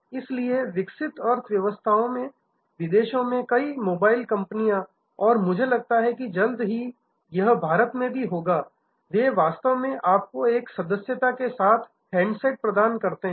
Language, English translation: Hindi, So, many mobile companies abroad in developed economies and I think soon it will happen in India too, they actually provide you handsets along with a subscriptions